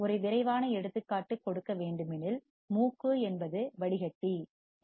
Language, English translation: Tamil, Just to give an quick example nose is the filter